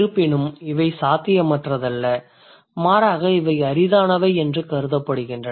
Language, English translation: Tamil, However, this is not impossible rather these are considered to be rare